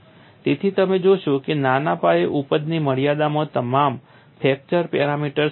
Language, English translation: Gujarati, So, you find within the confines of small scale yielding, all fracture parameters are equal